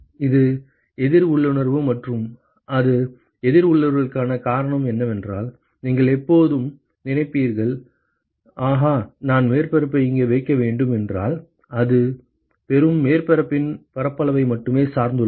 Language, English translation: Tamil, It is counter intuitive and the reason why it is counter intuitive is that you would always think that, ahha, if I have to if I have to place the surface here, then how come that it depends only on the surface area of the receiving surface, but note that the area of the sphere is still here